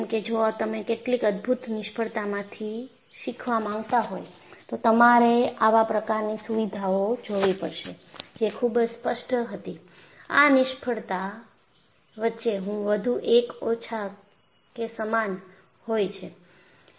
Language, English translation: Gujarati, Because if you want to go and learn from some of the spectacular failures, you will have to look at the kind of features that was very obvious, and more or less common between these failures